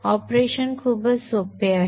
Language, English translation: Marathi, The operation is pretty simple